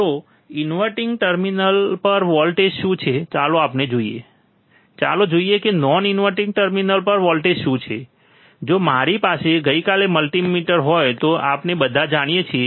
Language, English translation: Gujarati, So, what is the voltage at inverting terminal let us see, let us see what is the voltage at non inverting terminal if I have a multimeter yesterday we all know, right